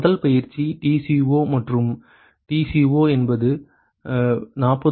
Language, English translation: Tamil, The first exercise is find TCo and TCo is about 40